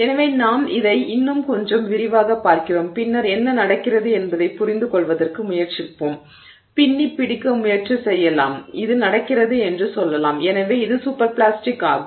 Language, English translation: Tamil, So, we look at it a little bit more in detail and then we will try to understand what is it that is happening that we can try to pin down and say that this is happening and therefore it is super plastic